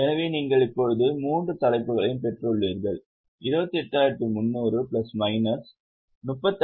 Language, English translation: Tamil, So, we have got all the 3 headings now, 28, 300 plus minus 35, 600 plus 9,000